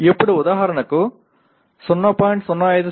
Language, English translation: Telugu, Now for example instead of 0